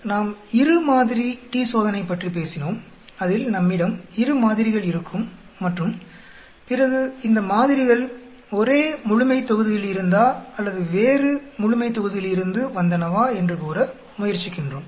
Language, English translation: Tamil, Then we talked about two sample t Test, where we are having two sets of samples and then trying to say whether these samples come from the same population or different population